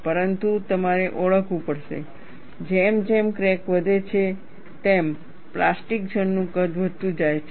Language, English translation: Gujarati, But you have to recognize, as the crack grows, the plastic zone sizes keeps increasing, and also formation of plastic wake